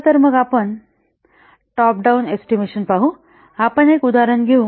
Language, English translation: Marathi, Here, the top down estimates works as follows